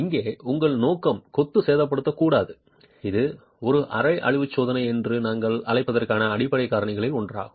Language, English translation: Tamil, Your intention here is not to damage the masonry and that's one of the fundamental reasons why we're calling this a semi destructive test